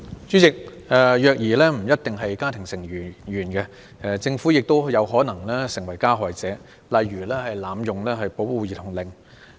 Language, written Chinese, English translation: Cantonese, 主席，虐兒行為不一定來自家庭成員，政府亦有可能成為加害者，例如濫用保護兒童令。, President abusive acts against children may not necessarily be committed by family members . The Government may become an abuser when for example there is an abusive use of child protection orders